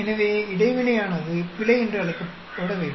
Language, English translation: Tamil, So, the interaction should be called as error